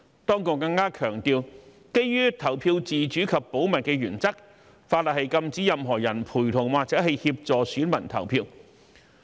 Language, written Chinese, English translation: Cantonese, 當局更強調，基於投票自主及保密原則，法例禁止任何人陪同或協助選民投票。, The authorities have also emphasized that based on the principles of the autonomy of voting and secrecy of votes the law prohibits anyone from accompanying or assisting the elector to cast hisher vote